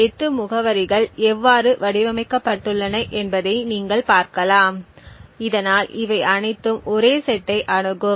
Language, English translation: Tamil, You can see how the 8 addresses are crafted, so that all of them would access exactly the same set